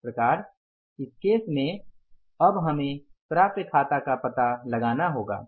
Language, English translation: Hindi, So, in this case now we will have to find out the accounts receivables